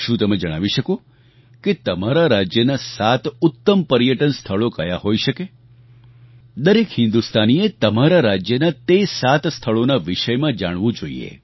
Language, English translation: Gujarati, A thought comes to my mind, that in order to promote tourism in India what could be the seven best tourist destinations in your state every Indian must know about these seven tourist spots of his state